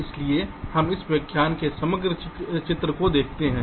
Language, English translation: Hindi, so we look at into the overall picture in this lecture